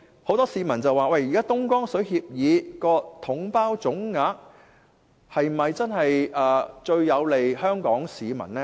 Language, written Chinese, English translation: Cantonese, 很多市民說，現時東江水協議下，以"統包總額"方式計算水價，是否最有利香港市民？, Many people suspect whether it is most favourable for Hong Kong people if water prices are calculated on the basis of the package deal lump sum approach under the current agreement for purchasing Dongjiang water